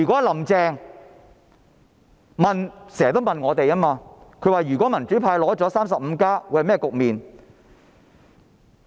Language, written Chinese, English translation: Cantonese, "林鄭"經常問，如果民主派取得 "35+" 會是甚麼局面？, Carrie LAM often asks what will happen if the democrats secure 35 seats?